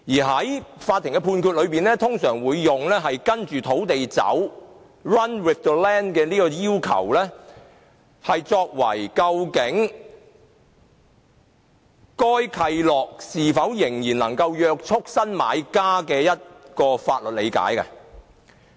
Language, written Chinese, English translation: Cantonese, 在法院的判決中，通常會用"跟着土地走"的要求作為究竟該契諾是否仍能約束新買家的法律理解。, In court rulings the requirement of run with the land will normally be taken as the legal basis for determination of whether the covenant is still binding on the new buyers